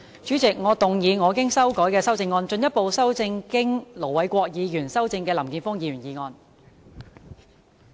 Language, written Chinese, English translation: Cantonese, 主席，我動議我經修改的修正案，進一步修正經盧偉國議員修正的林健鋒議員議案。, President I move that Mr Jeffrey LAMs motion as amended by Ir Dr LO Wai - kwok be further amended by my revised amendment